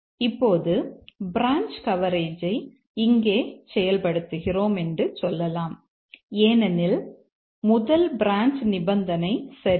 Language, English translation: Tamil, Now let's say we achieve branch coverage here that we have this branch condition is true